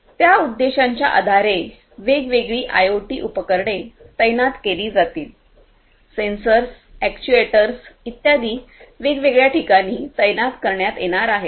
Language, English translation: Marathi, So, based on that objective different IoT devices are going to be deployed; sensors, actuators etc